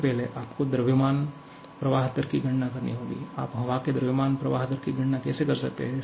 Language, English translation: Hindi, First, you have to calculate the mass flow rate, how can you calculate the mass flow rate of air